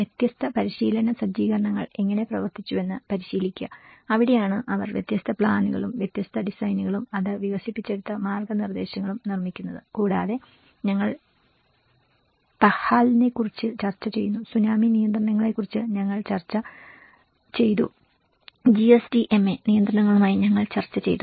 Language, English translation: Malayalam, Then the practice how different practice setups have worked and that is where how they produce different plans, different designs and what kind of guidances it has developed, we discussed about PAHAL and we discussed about the tsunami regulations, we discussed with the GSDMA regulations like that